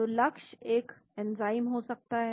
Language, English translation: Hindi, So, the target could be an enzyme